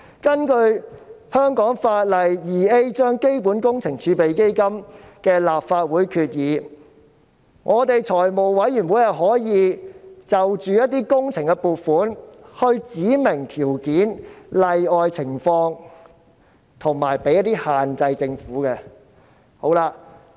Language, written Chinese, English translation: Cantonese, 根據香港法例第 2A 章《基本工程儲備基金》的立法會決議，立法會財務委員會可就一些工程撥款指明條件、例外情況及給予政府一些限制。, Under the Resolutions of the Legislative Council of the Capital Works Reserve Fund Cap . 2A the Finance Committee of the Legislative Council may specify conditions and exceptions for some works funding and impose some limitations on the Government